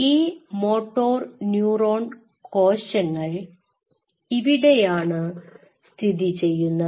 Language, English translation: Malayalam, Now so, these motoneurons are sitting here right